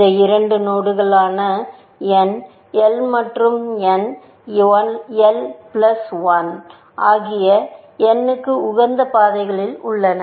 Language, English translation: Tamil, These two nodes, n l and n l plus one, are on the optimal paths to n